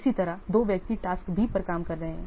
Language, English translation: Hindi, Similarly, two persons are working on tax B